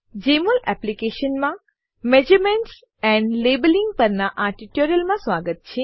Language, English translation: Gujarati, Welcome to this tutorial on Measurements and Labeling in Jmol Application